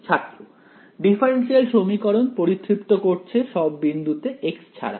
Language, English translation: Bengali, Satisfies the differential equation and all points other than x